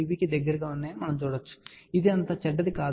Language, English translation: Telugu, 2 dB or so, which is not so bad